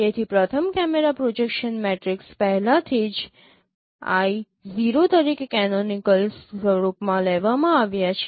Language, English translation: Gujarati, So, first cameras projection matrix is already taken as I 0 in the canonical form